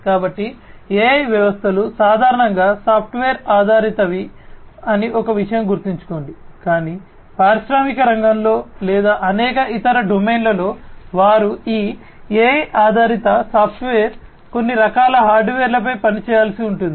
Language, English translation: Telugu, So, remember one thing that AI systems are typically software based, but in industrial sector or, many other domains they these software, these AI based software will have to work on some kind of hardware